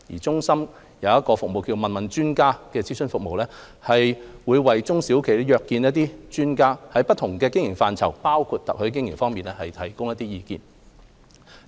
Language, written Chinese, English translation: Cantonese, 中心的"問問專家"業務諮詢服務，為中小企業約見專家，在不同經營範疇，包括特許經營提供意見。, Through the Meet - the - Advisors Business Advisory Service of SUCCESS SMEs can consult experts on their opinions on various aspects of operating a business including franchising